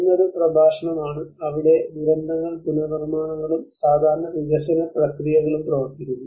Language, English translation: Malayalam, One is a discourse, where the disasters the reconstructions and the usual development process work on